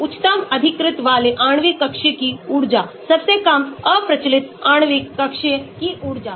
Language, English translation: Hindi, energy of highest occupied molecular orbital, energy of the lowest unoccupied molecular orbital